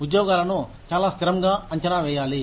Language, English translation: Telugu, Jobs should be evaluated in a very consistent manner